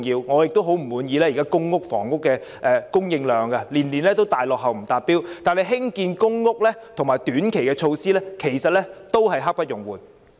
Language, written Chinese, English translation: Cantonese, 我雖然不滿意現時公屋每年的供應量大幅落後、不達標，但興建公屋及短期措施卻刻不容緩。, I am not satisfied with the current situation . The annual supply of PRH is lagging so far behind and failing to meet the target . However there is a pressing need for PRH to be built and for short - term measures to be taken